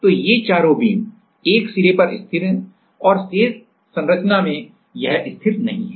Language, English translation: Hindi, So, these four beams at one end it is fixed and rest of the structure it not fixed